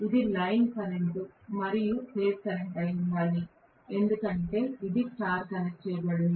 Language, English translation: Telugu, This has to be line current as well as phase current because it is star connected